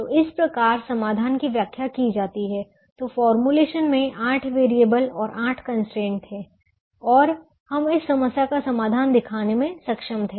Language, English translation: Hindi, so the formulation had eight variables and eight constraints and we are able to show the solution to this problem